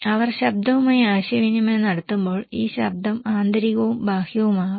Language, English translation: Malayalam, When they are communicating with the noise, this noise could be internal and also could be external